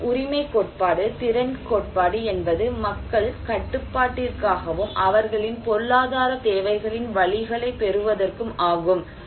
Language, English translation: Tamil, And also the entitlement theory, the capacity theory and that the people have for control and to get to secure the means of their economic needs